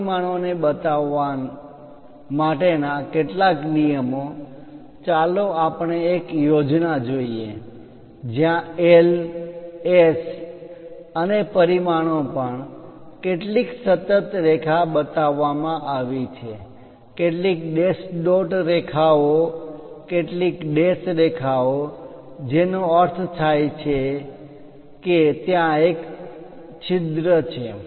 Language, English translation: Gujarati, Few rules to show these dimensions, let us look at a schematic where L, S and so on dimensions are shown some continuous line, some dash dot lines, some dashed lines that means, there is a hole